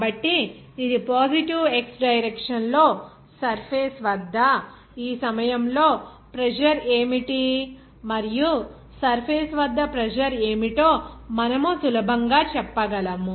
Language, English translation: Telugu, So, this at the surface in the positive x direction, we can easily say that at this point what is the pressure and at the surface what would be the pressure there